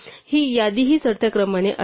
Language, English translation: Marathi, So, this list will also be in ascending order